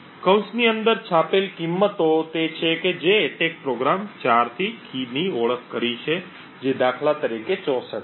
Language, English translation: Gujarati, The values printed within the brackets are what the attack program has identified the 4th key which is 64 for instance